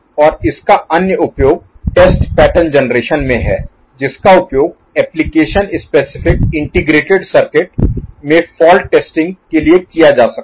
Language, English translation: Hindi, And the other use of it is in test pattern generation of which can be used for testing the faults in application specific integrated circuits